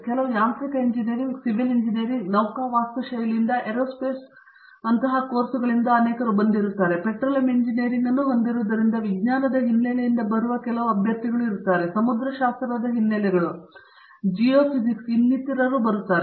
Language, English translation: Kannada, Typically, mechanical engineering, civil engineering, some from naval architecture, many from aerospace and of course, because we have the Petroleum Engineering there are some candidates coming from science backgrounds, oceanographic backgrounds, geophysics and so on